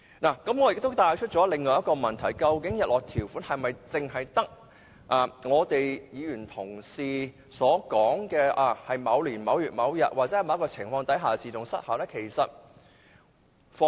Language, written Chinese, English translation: Cantonese, 我亦想帶出另一個問題，就是究竟日落條款是否只有議員提出在某年某月某日或在某情況下自動失效的做法呢？, I would also like to highlight another question . Do sunset clauses automatically expire only on a certain date or under certain circumstances proposed by Members?